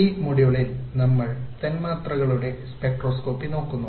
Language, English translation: Malayalam, In this module we have been looking at molecular spectroscopy